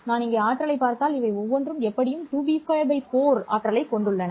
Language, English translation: Tamil, If I look at the energy here, each of these has an energy of 2B square by 4